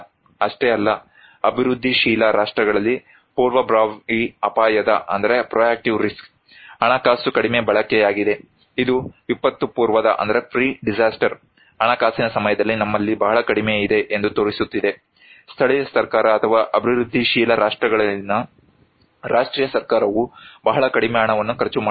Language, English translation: Kannada, Not only that, proactive risk financing is less used in developing countries, it is showing that we have very, very less during the pre disaster financing, the local government or the national government in developing countries are spending very little money